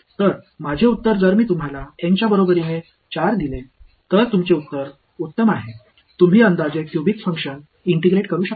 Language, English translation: Marathi, So, my answer if I give you N equal to 4, your answer is at best you can approximate a cubic function are integrated